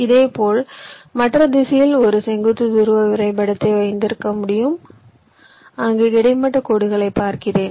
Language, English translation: Tamil, similarly, in the other direction, i can have a vertical polar graph where i look at the horizontal lines